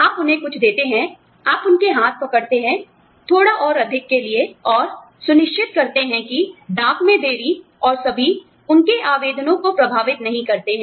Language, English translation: Hindi, You give them some, you hold their hand, for little bit more, and make sure that, you know, delays in postage and all, do not affect their applications